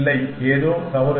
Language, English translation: Tamil, No, something is wrong